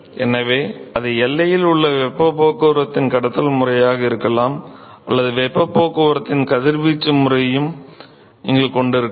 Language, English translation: Tamil, So, it could be either just the conduction mode of heat transport at the boundary or you could also have a radiation mode of heat transport ok